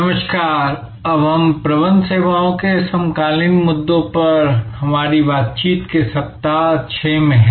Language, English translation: Hindi, Hello, so we are now in week 6 of our interaction on Managing Services contemporary issues